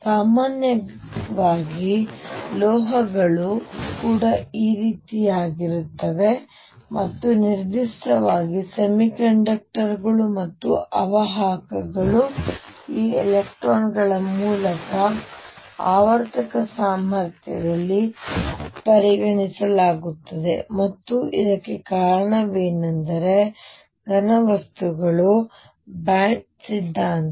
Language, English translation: Kannada, In general metals are also like this and in particular semiconductors and insulators can be explained through this electrons being considered in a periodic potential, and what gives rise to is the band theory of solids